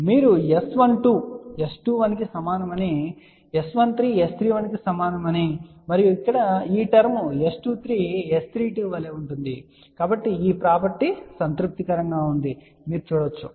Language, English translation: Telugu, So, you can see that S 12 is same as S 21, S 13 is same as S 31 and this term here S 23 is same as S 32